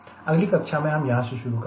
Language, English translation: Hindi, in the next class we will be starting from here